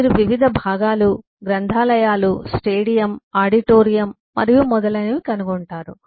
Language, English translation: Telugu, you will find different departments: libraries, stadium, eh, auditorium and so on